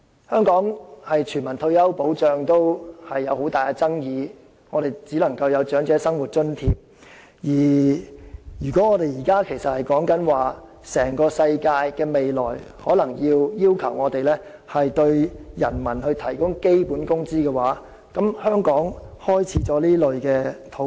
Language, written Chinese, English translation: Cantonese, 香港連推行全民退休保障也有很大爭議，只能提供長者生活津貼，如果現時的討論是全球各地在未來皆有可能需要為人民提供基本工資，香港是否已開始了這方面的討論？, If it is now suggested that it might be necessary to provide people with basic salary in places all over the world in the future have we started the discussions on the provision of basic salary in Hong Kong when it remains highly controversial for us to implement universal retirement protection and only Old Age Living Allowance can be provided here?